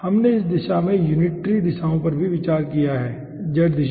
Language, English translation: Hindi, we have consider uniter unitary directions in this way, in this side